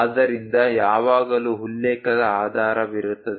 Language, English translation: Kannada, So, that there always be a reference base